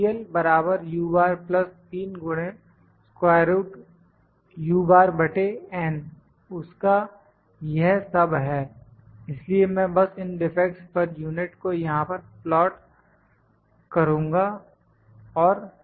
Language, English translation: Hindi, That is all it, so I will just plot these defects per unit and this